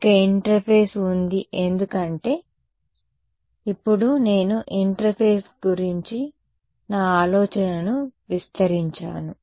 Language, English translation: Telugu, There is an interface it is because, now I have expanded my idea of an interface itself